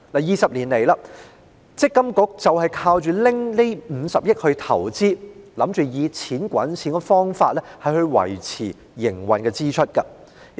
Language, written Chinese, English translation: Cantonese, 二十多年來，積金局靠着這50億元進行投資，想以"錢滾錢"的方法應付營運支出。, For more than two decades MPFA has relied on investment returns from the 5 billion hoping to meet its operating expenses by using money to earn money